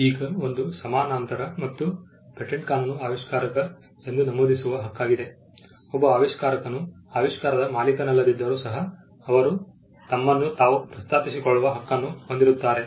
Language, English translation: Kannada, Now, a paralleled and patent law will be the right to be mentioned as the inventor, a person who is an inventor has the right to be mentioned even if he is not the owner of the invention say he created the invention being an employee